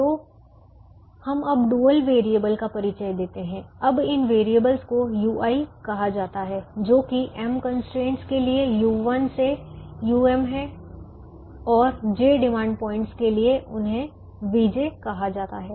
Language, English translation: Hindi, now these dual variables are called u i's, which are u one to u m for the m constraints, and they are called v, j for the j demand points